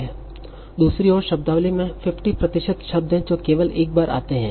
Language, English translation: Hindi, And on the other hand, there are 50% of the words in the vocabulary that occur only once